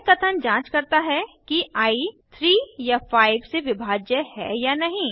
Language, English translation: Hindi, This statement checks whether i is divisible by 3 or by 5